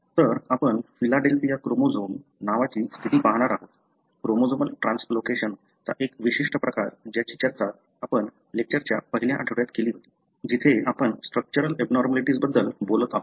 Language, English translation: Marathi, So, what we are going to look at is a condition called as Philadelphia chromosome, a particular form of chromosomal translocation that we discussed in the first week of lecture, where we are talking about structural abnormality